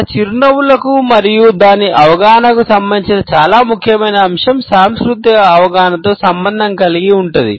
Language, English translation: Telugu, A very important aspect related with our smiles and its understanding is related with cultural understandings